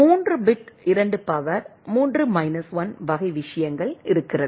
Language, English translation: Tamil, If there are 3 bit 2 to the power 3 minus 1 type of things